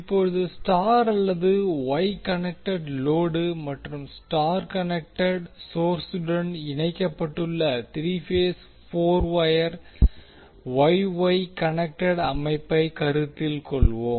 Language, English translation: Tamil, Now let us consider three phase four wire Y Y connected system where star or Y connected load is connected to star connected source